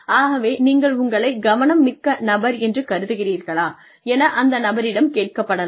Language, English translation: Tamil, So, a person is asked, do you consider yourself a meticulous person